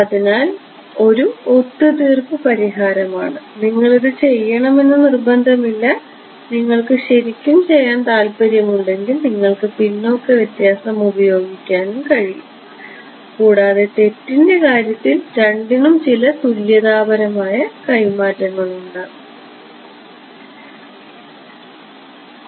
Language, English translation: Malayalam, So, that is a compromise solution it is not a golden rule that you have to do this if you really want to do you could do backward difference also both will have some tradeoff in terms of the error